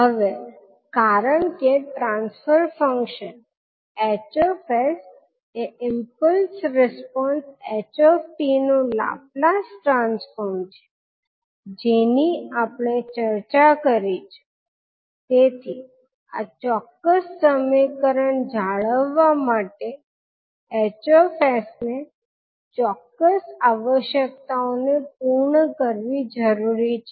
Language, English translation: Gujarati, Now since the transfer function h s is the laplus transform of the impulse response h t this is what we discussed, so hs must meet the certain requirement in order for this particular equation to hold